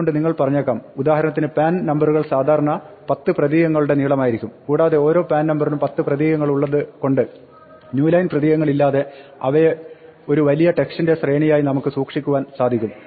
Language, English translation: Malayalam, So, you might have say, for example, pan numbers which are typically 10 characters long and you might have just stored them as one long sequence of text without any new lines knowing that every pan number is 10 characters